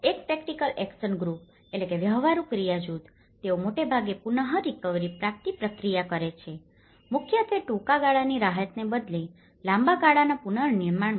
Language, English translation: Gujarati, A practical action group they does mostly on the recovery process, mainly in the long term reconstruction rather than the short term relief